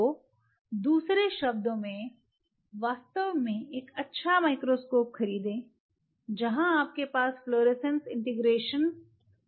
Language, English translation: Hindi, So, in other word then get a really good microscope, where you have an integration of the fluorescence